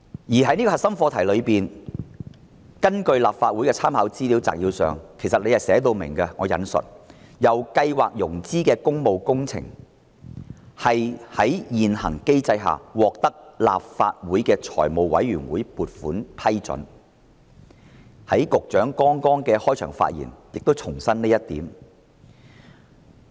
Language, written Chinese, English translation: Cantonese, 而在這方面，立法會參考資料摘要亦已經註明。"由計劃融資的工務工程須在現行機制下獲得立法會財務委員會撥款批准"。局長剛才的開場發言亦重申了這一點。, In this connection it is noted in the Legislative Council Brief that I quote all Public Works Programme projects under the Programme must be approved by the Finance Committee of Legislative Council under the existing mechanism end of quote which the Secretary reiterated in his opening speech